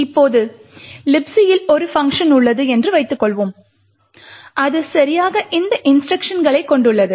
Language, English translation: Tamil, However, most likely there would not be a function in libc which has exactly this sequence of instructions